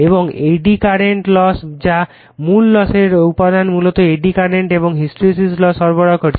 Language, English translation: Bengali, So, eddy current loss that is core loss component basically is supplying eddy current and hysteresis losses